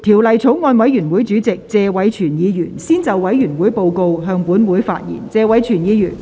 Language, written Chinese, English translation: Cantonese, 法案委員會主席謝偉銓議員先就委員會報告，向本會發言。, Mr Tony TSE Chairman of the Bills Committee on the Bill will first address the Council on the Bills Committees Report